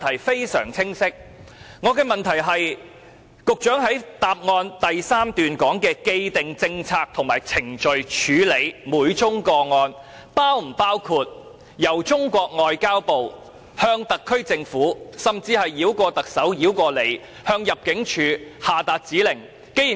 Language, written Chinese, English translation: Cantonese, 局長在主體答覆第三段提及的"既定政策及程序"，是否包括由中國外交部向特區政府下達指令，甚至繞過特首和局長向入境處下達指令？, Do the prevailing policies and procedures mentioned by the Secretary in the third paragraph of the main reply include MFA giving directions to the HKSAR Government or even bypassing the Chief Executive and the Secretary to give directions to ImmD?